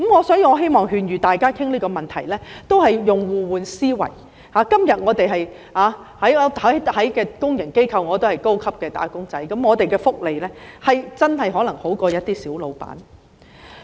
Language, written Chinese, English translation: Cantonese, 所以，我希望大家在討論這個問題時，也要互換思維，今天我們在公營機構也是高級"打工仔"，福利可能真的比一些小僱主為佳。, In view of this I hope that when Members discuss this issue they have to put themselves in other peoples shoes . Nowadays we can be considered high - class wage earners in public organizations and our employment benefits may really be better off than those of some minor employers